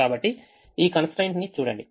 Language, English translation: Telugu, so look at this constraint